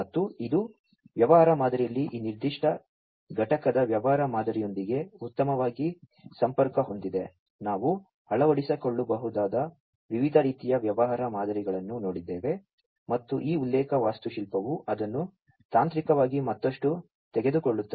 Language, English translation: Kannada, And this connects well with the business model of this particular unit in the business model, we have seen the different types of business models that could be adopted and this reference architecture is the one which takes it further technically